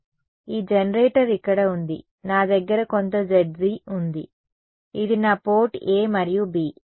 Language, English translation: Telugu, So, this generator remains here, I have some Zg this is my port a and b right